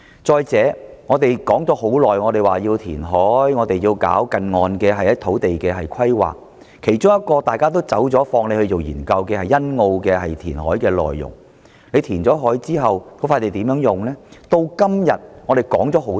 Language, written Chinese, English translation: Cantonese, 再者，我們說了很久要求填海、進行近岸土地規劃，其中一個大家也放棄研究的便是欣澳填海項目，究竟填海後的土地用途為何？, Furthermore we have long been talking about the demand for reclamation and the land use planning for nearshore reclamation sites . One of the projects that we have given up studying is the Sunny Bay Reclamation . What will be its land use after reclamation?